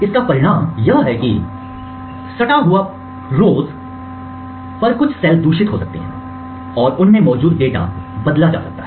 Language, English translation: Hindi, The result is that certain cells on the adjacent rows may get corrupted and the data present in them may actually be toggled